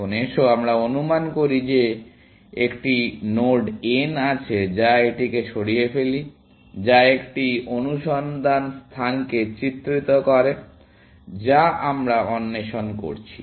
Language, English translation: Bengali, Now, let us assume that there is a node n which, let us remove this, that depicts a search space that we are exploring